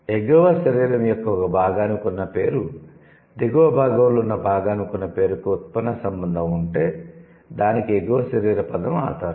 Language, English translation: Telugu, If words for a part of the upper body and a part of the lower are in a derivational relationship, the upper body term is the base